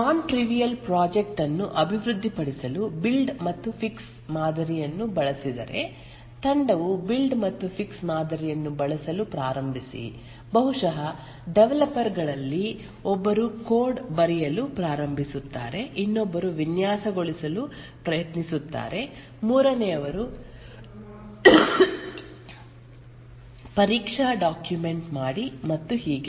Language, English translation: Kannada, If the build and fixed model is used for developing a non trivial project and a team starts using the build and fix model, then maybe one of the developers will start writing the code, another will try to design, the third one write to that do the test document and so on another may define the I